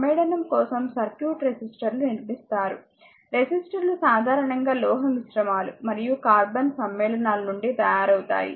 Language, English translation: Telugu, For the purpose of constructing circuit resistors are compound; resistors are usually made from metallic alloys and the carbon compounds, right